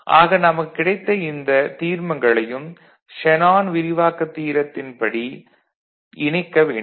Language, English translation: Tamil, Now, we just need to combine using this Shanon’s expansion theorem